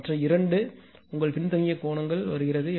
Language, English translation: Tamil, But other two is your is coming lagging angle right